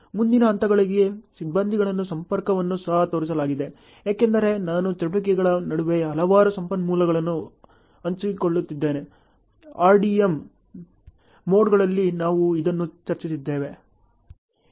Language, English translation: Kannada, The crew connectivity is also shown for the next levels and so on, because I am sharing so many resources between the activities, which during the RDM modes we have discussed this also